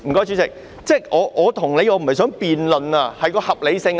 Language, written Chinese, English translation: Cantonese, 主席，我不是想與你辯論，這是合理性的問題。, President I do not wish to debate with you . This is a question of reasonableness